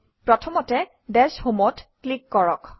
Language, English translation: Assamese, First, click Dash Home